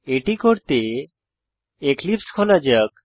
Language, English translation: Bengali, For that let us open Eclipse